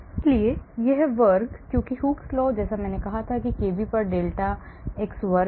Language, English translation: Hindi, so this square because Hooke’s law like I said delta x square at kb